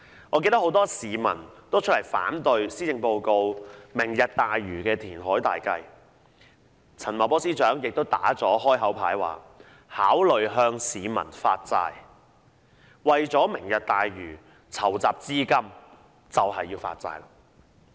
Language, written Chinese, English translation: Cantonese, 我記得很多市民也出來反對施政報告的"明日大嶼"填海計劃，陳茂波司長亦已"打開口牌"，說考慮向市民發債，為"明日大嶼"籌集資金。, I recall that many people opposed the Lantau Tomorrow reclamation project in the Policy Address while Secretary Paul CHAN played verbal coercion by saying that bond issuance would be an option for financing Lantau Tomorrow